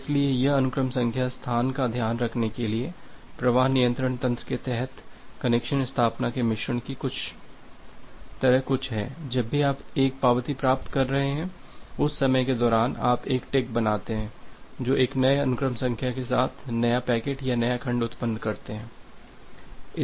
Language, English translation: Hindi, So, this is something like a mix of the connection establishment under flow control mechanism for handling the sequence number space that whenever you are receiving an acknowledgement, during that time you make a tick that you generate new packet or new segment with a new sequence number